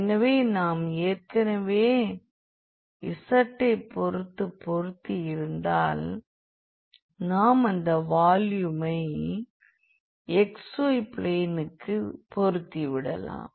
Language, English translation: Tamil, So, if we have fixed already with respect to z then we can project the geometry, the volume to the xy plane